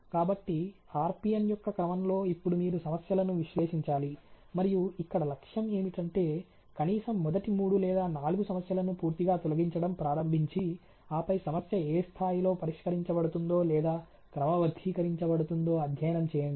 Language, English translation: Telugu, So, you know order on a RPN now analyze a problems and the goal is that you should start eliminating at least the first three or four problem to a totality, and then study what is the you know level at which the problem gets result or sorted out